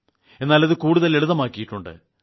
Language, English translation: Malayalam, But now we have made it a lot simpler